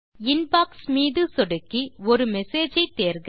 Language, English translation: Tamil, Click on Inbox and select a message